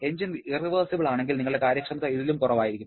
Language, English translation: Malayalam, And if the engine is an irreversible one, your efficiency will be even lower